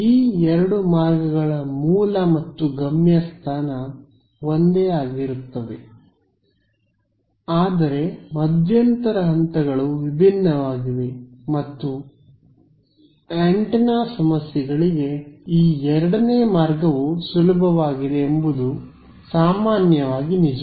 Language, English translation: Kannada, The source and destination of these routes remains the same, but the intermediate steps are different and for antenna problems this is generally true that this second route is easier ok